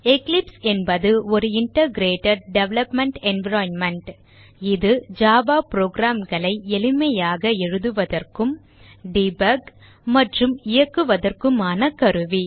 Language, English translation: Tamil, Eclipse is an Integrated Development Environment It is a tool on which one can write, debug and run java programs easily